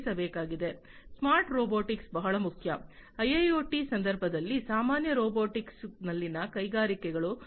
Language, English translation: Kannada, Smart robotics is very important in the context of IIoT industry industries in general robotics is very important